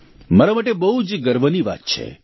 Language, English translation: Gujarati, It is a matter of great pride for me